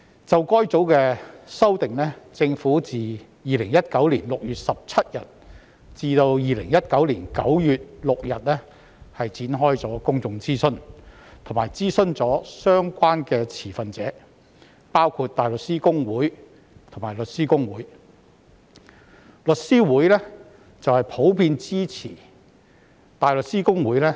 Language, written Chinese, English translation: Cantonese, 就該組的修訂，政府在2019年6月17日至2019年9月6日展開了公眾諮詢，以及諮詢了相關的持份者，包括香港大律師公會和香港律師會。, Regarding this group of amendments the Government conducted a public consultation from 17 June 2019 to 6 September 2019 and consulted relevant stakeholders including the Hong Kong Bar Association HKBA and The Law Society of Hong Kong